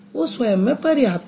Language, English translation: Hindi, It is self sufficient